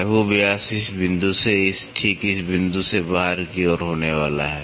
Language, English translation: Hindi, Minor diameter is going to be from this point, right from this point to the out to the outside